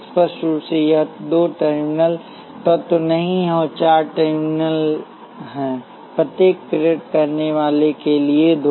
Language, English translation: Hindi, Clearly this is not a two terminal element; there are four terminals, two for each inductor